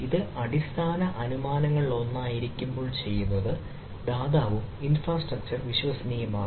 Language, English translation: Malayalam, so what we do when we this is one of the basic assumption is the provider and the infrastructure need to be trusted